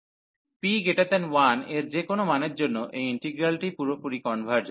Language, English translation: Bengali, For any value of p greater than 1, this integral converges absolutely